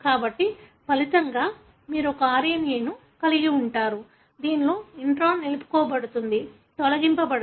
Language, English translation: Telugu, So, as a result, you would have an mRNA in which the intron is retained, not deleted